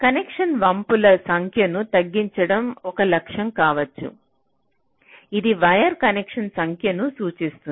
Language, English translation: Telugu, so so one objective may be to reduce the number of bends in the connection, which may indicate number of wire connection